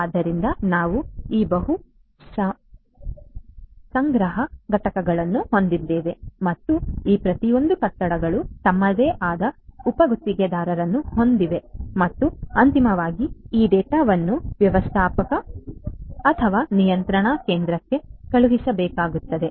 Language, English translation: Kannada, So, we have this multiple collection units and each of these buildings have their own subcontractors and finally, this data will have to be sent to the manager, manager or the control station